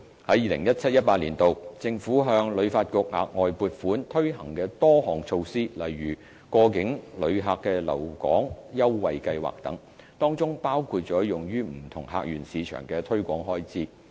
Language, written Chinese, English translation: Cantonese, 在 2017-2018 年度，政府向旅發局額外撥款推行的多項措施，例如過境旅客留港優惠計劃等，當中包括了用於不同客源市場的推廣開支。, In 2017 - 2018 the Government allocates additional funding to HKTB to roll out a series of initiatives such as a pilot scheme to provide promotional offers to attract transit visitors etc